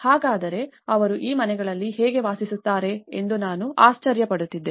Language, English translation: Kannada, So, I was wondering how could they able to live in these houses